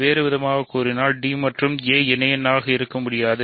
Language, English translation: Tamil, So, in other words d and a cannot be associates